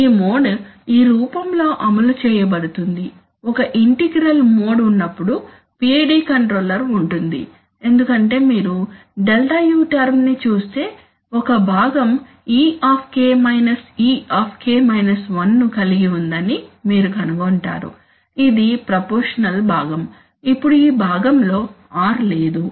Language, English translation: Telugu, Mode is implemented in this form, there is a PID controller, when there is an integral mode basically because of the fact that if you see the Δu term you will find that one component contains e minus e, that is the proportional component, now in this component there is no r